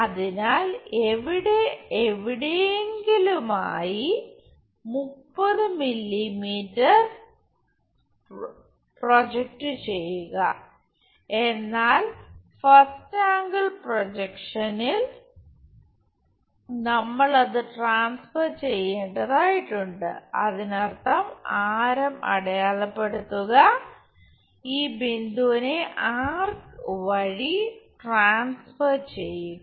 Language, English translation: Malayalam, So, 30 mm project somewhere there, but we want to transfer that in the first angle projection; that means, take radius mark this point transfer it by arc